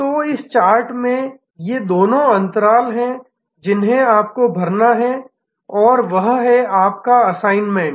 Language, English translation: Hindi, So, these are two gaps in this chart that you have to fill and that is your assignment